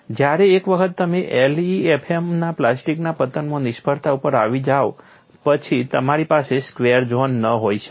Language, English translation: Gujarati, It is like a square whereas, once you come to the failure in LEFM and plastic collapse, you cannot have a square zone